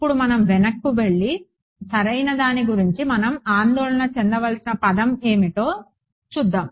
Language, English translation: Telugu, Now, let us go back and see what is the kind of term that we have to worry about right